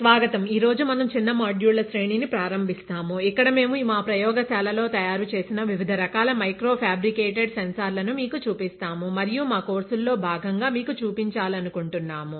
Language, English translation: Telugu, Welcome, today we start a series of short modules, where we show you different types of micro fabricated sensors that we have made in our lab and which we would like to show you as part of our course